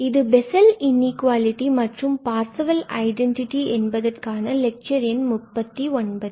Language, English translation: Tamil, This is lecture number 39 on Bessel's Inequality and Parseval's Identity